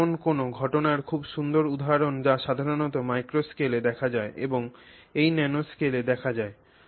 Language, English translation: Bengali, It's a very nice example of something of a phenomenon that you know is not normally seen in the macro scale and is seen in the nanoscale